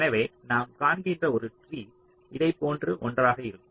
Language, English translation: Tamil, so so what we are looking for is a tree which is something like this